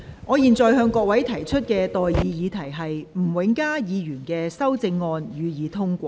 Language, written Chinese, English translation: Cantonese, 我現在向各位提出的待議議題是：吳永嘉議員動議的修正案，予以通過。, I now propose the question to you and that is That the amendment moved by Mr Jimmy NG be passed